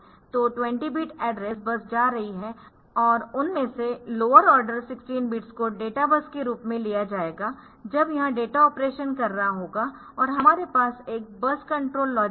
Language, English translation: Hindi, So, address 20 bit address bus is going and out of that lower order 16 bits will be will be taken as data bus when it is doing the data operation and there is a bus control logic